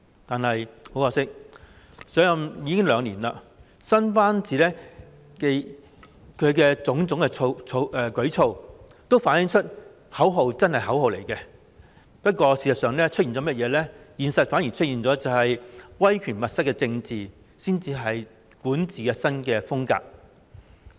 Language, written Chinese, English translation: Cantonese, 但是，很可惜，她已上任兩年，新班子和她的種種舉措，都反映出口號真的只是口號而已，現實中出現的威權密室政治才是管治新風格。, However it is a pity that she has been in office for two years but her new team and her various initiatives have reflected that her slogan was no more than a slogan . In reality authoritarian chamber politics is the new style of governance